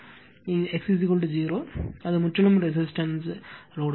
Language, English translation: Tamil, If X is equal to 0, then it is purely resistive load